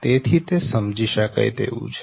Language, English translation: Gujarati, so it is understandable, right